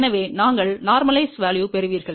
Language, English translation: Tamil, So, you get the normalize value